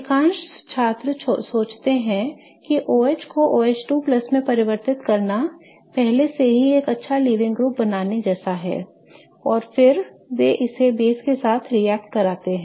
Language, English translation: Hindi, Most students think that converting OH to OH2 plus is already made it into a good living group and then they attack it with a base